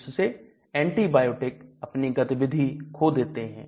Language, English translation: Hindi, So the antibiotic loses its activity